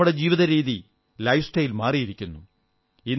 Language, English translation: Malayalam, But our lifestyle has changed